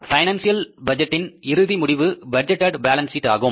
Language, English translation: Tamil, The end result of the financial budget is the budgeted balance sheet